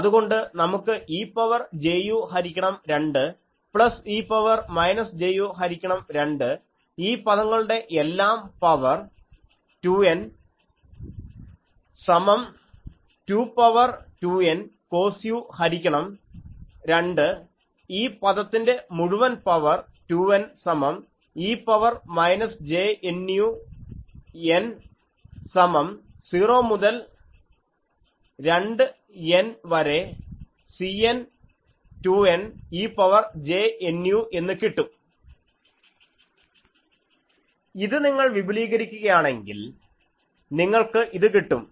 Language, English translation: Malayalam, So, what we get is e to the power j u by 2 plus e to the power minus j u by 2 whole to the power 2 n is equal to 2 to the power 2 n cos of u by 2 whole to the power 2 n is equal to e to the power minus j N u n is equal to 0 to 2 N C n 2 N e to the power j n u